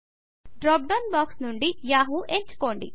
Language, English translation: Telugu, Select Yahoo from the drop down box